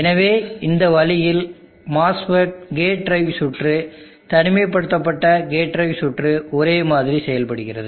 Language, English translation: Tamil, So in this way the mass fit gate drive circuit isolated gate drive circuit also works similarly